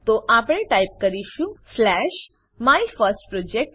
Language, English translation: Gujarati, So we will type slash MyFirstProject